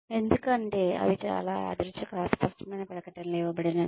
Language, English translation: Telugu, It because they are given, very random, vague statements